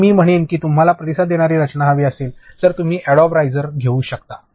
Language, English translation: Marathi, So, I would say that if you want to try responsive design you can go for Adobe rise